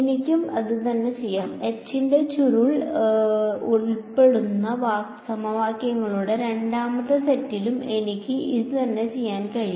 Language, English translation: Malayalam, I can do the same thing; I can do the same thing for the second set of equations involving curl of H